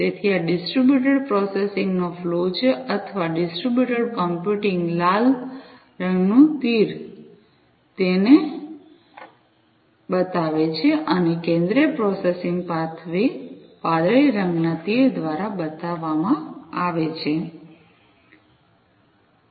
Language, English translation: Gujarati, So, this is the flow of distributed processing or distributed computing the red colored arrow shows it and the centralized processing pathway is shown, through the blue colored arrow